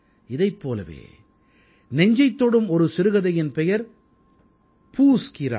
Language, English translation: Tamil, Another such poignant story is 'Poos Ki Raat'